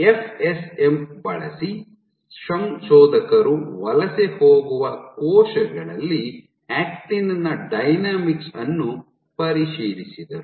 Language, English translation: Kannada, So, using FSM the authors probed actin dynamics in migrating cells